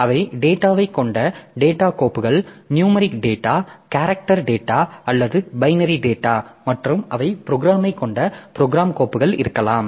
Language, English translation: Tamil, So, data files they contain data, it may be numeric data, character data or binary data and the program files they contain program